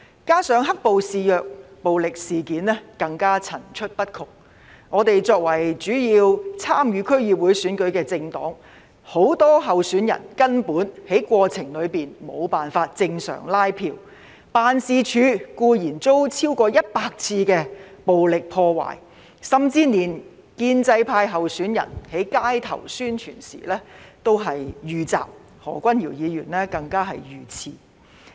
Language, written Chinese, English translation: Cantonese, 加上"黑暴"肆虐，暴力事件更層出不窮，我們作為主要參與區議會選舉的政黨，很多候選人根本在過程中無法正常拉票，辦事處固然遭超過100次暴力破壞，甚至連建制派候選人在街上宣傳時也遇襲，何君堯議員更加遇刺。, Coupled with the rampant black - clad violence violent incidents broke out one after another . As our party extensively participated in the District Council Election many of our candidates actually could not canvass for votes as normal during the process . Their offices had been violently vandalized over 100 times